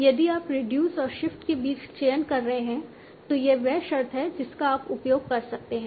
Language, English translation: Hindi, If you have to choose between reduce and shift, this is the condition that you can use